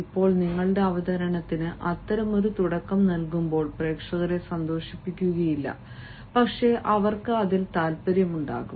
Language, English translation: Malayalam, now, when you give such a beginning to your presentation, the audience will not be attracted only, but they will feel interested in it